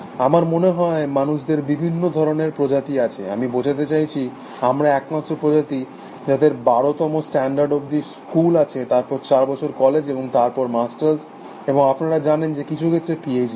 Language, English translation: Bengali, Human being, humans have a very different kind of a species I think, I mean we are the only species, which has schools up to twelfth standard, and then college four years after that and then, masters and may be you know p h d in some cases